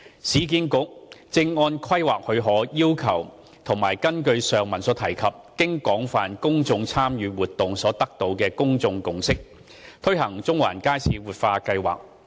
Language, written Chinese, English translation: Cantonese, 市建局正按規劃許可要求及根據上文提及經廣泛公眾參與活動後所得的公眾共識，推行中環街市活化計劃。, URA is implementing the Central Market Revitalization Project in accordance with the conditions of the planning approval and the public consensus achieved from the above mentioned extensive public engagement exercise